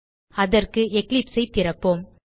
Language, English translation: Tamil, For that let us open Eclipse